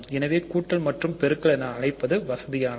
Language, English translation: Tamil, So, it is just convenient to call them addition and multiplication